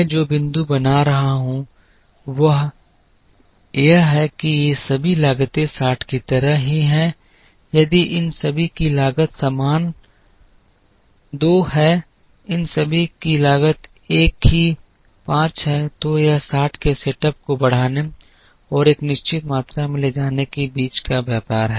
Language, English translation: Hindi, The point I am making is if all these costs are the same like 60, if all these costs are the same 2, all these costs are the same say 5, then it is a tradeoff between incurring a setup of 60 and carrying a certain quantity of the demand for the next period multiplying it by two